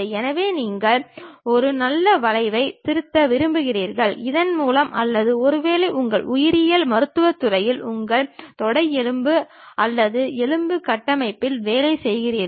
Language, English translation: Tamil, So, you would like to really fit a nice curve, through that or perhaps you are working on biomedical field your femurs or bone structures